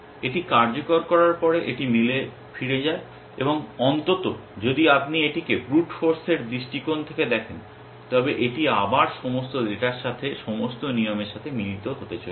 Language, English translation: Bengali, After it executes its goes back to the match and at least if you look at it from the brute force point of view, it is going to match all the rules with all the data all over again